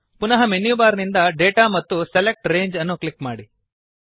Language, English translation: Kannada, Again, from the Menu bar, click Data and Select Range